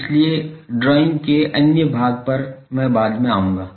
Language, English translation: Hindi, So, the other portions of the drawing I will come later